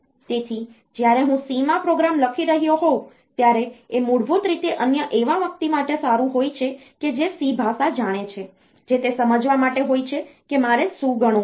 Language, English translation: Gujarati, So, when I am writing a program in C that is basically good for another person who knows the language C to understand what I want to compute